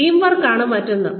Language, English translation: Malayalam, Teamwork is another one